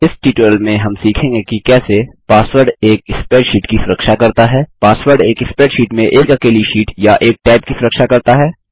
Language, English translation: Hindi, In this tutorial we will learn how to: Password protect a spreadsheet Password protect a single sheet or a tab in a spreadsheet